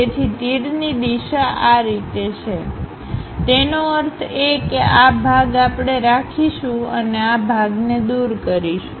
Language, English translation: Gujarati, So, arrow direction is in this way; that means this part we will keep it and this part we will remove it